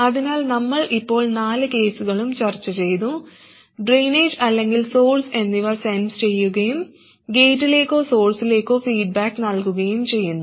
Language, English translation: Malayalam, So we have now discussed all four cases sensing at either drain or source and feeding back to either gate or source